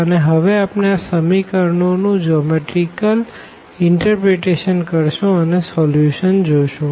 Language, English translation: Gujarati, And, now we look for the geometrical interpretation of these equations and the solution basically